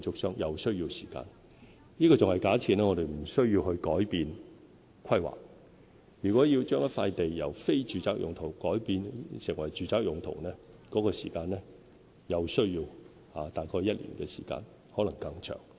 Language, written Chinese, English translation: Cantonese, 上述時間還假設我們無須改變規劃，如果要把一塊土地由"非住宅用途"改變為"住宅用途"，又需要大概1年時間，可能更長。, The above mentioned time is based on the assumption that there is no need for rezoning . If a site has to be rezoned from non - residential to residential it will take about a year or more